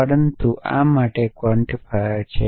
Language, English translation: Gujarati, But essentially these are quantifiers for